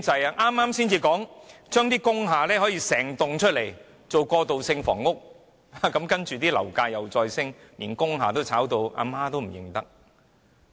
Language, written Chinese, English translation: Cantonese, 政府剛說要將整幢工廈轉型為過渡性房屋，樓價便再度攀升，連工廈的售價也在飆升。, As soon as the Government announced the conversion of the whole industrial building for transitional housing property prices surged again and even prices for industrial buildings have been pushed up